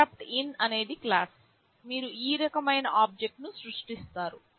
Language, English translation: Telugu, InterruptIn is the class, you create an object of this type